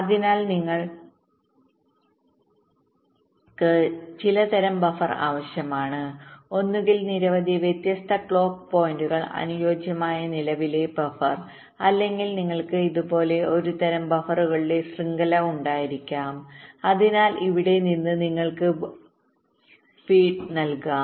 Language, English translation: Malayalam, so you need some kind of a buffer, either a current buffer which can be fit to a number of different clock points, or you can have a some kind of a network of buffers like this, so from here you can possibly feed